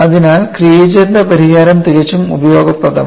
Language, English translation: Malayalam, So, the solution by Creager is quite useful